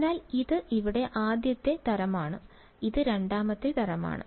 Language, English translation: Malayalam, So, this guy is the first kind and this guy is the second kind over here ok